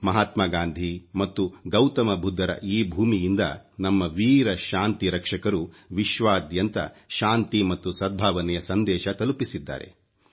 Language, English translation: Kannada, The brave peacekeepers from this land of Mahatma Gandhi and Gautam Budha have sent a message of peace and amity around the world